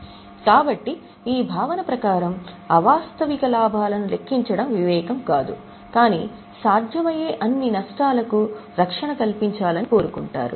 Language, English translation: Telugu, So, as for this concept, it is not prudent to count unrealized gain but it is desired to guard for all possible losses